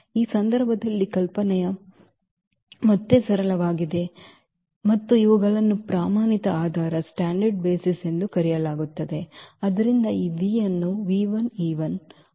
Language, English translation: Kannada, The idea is again simple in this case and that is for these are called the standard basis